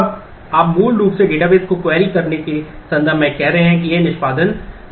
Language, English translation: Hindi, Now, you are basically putting the query to the database in terms of doing saying that this execute